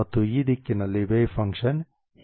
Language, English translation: Kannada, In this direction the wave function looks like that